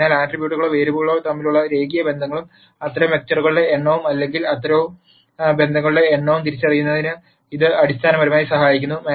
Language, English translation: Malayalam, So, this basically helps in identifying the linear relationships between the attributes or the variables directly and the number of such vectors or number of such relationships is what is given by the nullity